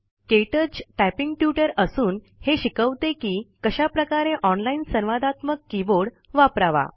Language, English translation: Marathi, It teaches you how to type using an online interactive keyboard